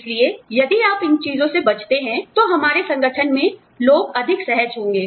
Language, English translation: Hindi, So, if you avoid these things, then people will be more comfortable, in our organization